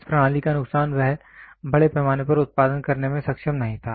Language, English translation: Hindi, The disadvantage of this system is he was not able to mass produce